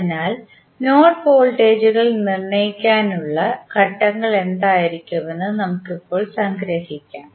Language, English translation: Malayalam, So, now you can summarize that what would be the steps to determine the node voltages